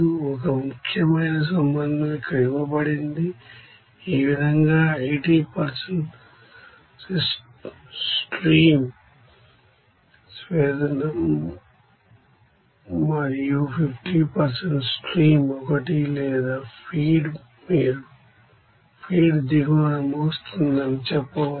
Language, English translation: Telugu, And one important relation is given here like this 80% of stream 1 ends up in distillate and 50% of stream 1 or feed you can say that feed ends up in bottom